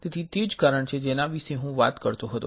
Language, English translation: Gujarati, So, that is our reason of I was talking about